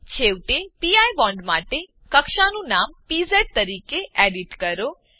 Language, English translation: Gujarati, Finally for the pi bond, edit the name of the orbital as pz